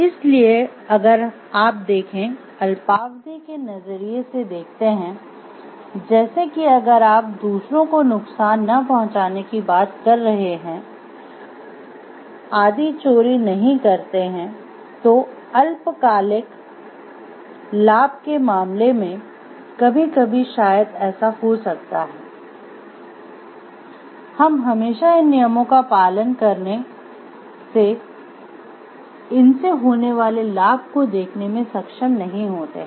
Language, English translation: Hindi, So, if you see from the maybe short term perspective like if you are talking of do not harm others do not steal etc, in terms of short term gain maybe sometimes what happens we are always not able to see the benefit coming out of these following these rules